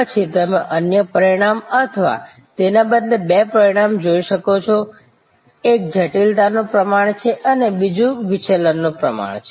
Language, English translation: Gujarati, Then you can look at another dimension or rather two dimensions, one is degree of complexity and another is degree of divergence